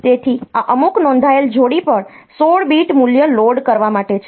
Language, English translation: Gujarati, So, this is for loading 16 bit value onto some registered pair